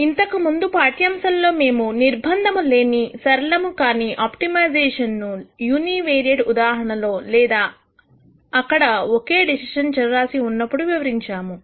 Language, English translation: Telugu, In the previous lecture we described unconstrained non linear optimization in the univariate case or when there was only one decision variable